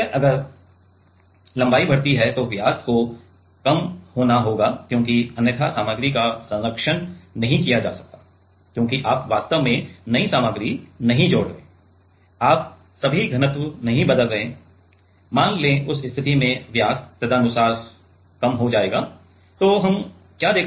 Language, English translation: Hindi, So, if the length increases, then the diameter have to decrease because otherwise material will not be conserved right because you are not actually adding new material in that all you are not changing the density let us say then in that case diameter will sync accordingly